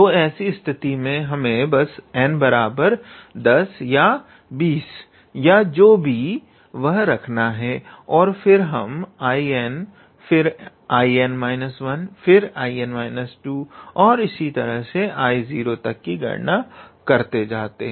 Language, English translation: Hindi, Then in that case we just have to put n equals to 10 or 20 whatever it is and then we keep on calculating I n then I n minus 1 and 2 dot dot so until we get here I 0